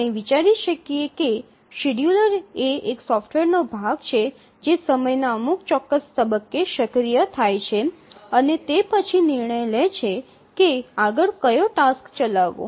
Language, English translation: Gujarati, We can think of that a scheduler is a software component which becomes active at certain points of time and then decides which has to run next